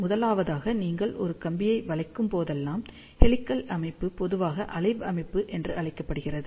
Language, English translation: Tamil, First of all, whenever you bent a wire, helical structure is also known as slow wave structure